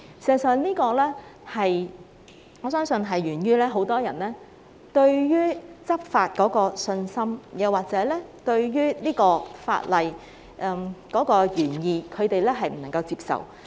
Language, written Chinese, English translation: Cantonese, 事實上，我相信這是源於很多人對執法欠缺信心，或者他們不能接受法例的原意。, In fact I reckon this is resulted from a lack of confidence in law enforcement among many people or they cannot accept the original intent of the law